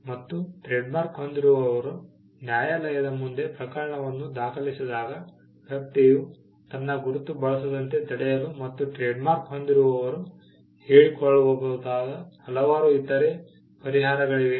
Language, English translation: Kannada, Now when the trademark holder files a case before the court of law asking the court, to stop the person from using his mark and there are various other reliefs that the trademark holder can claim